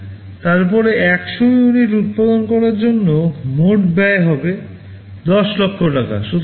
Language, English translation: Bengali, 5000, then for manufacturing 100 units the total cost becomes Rs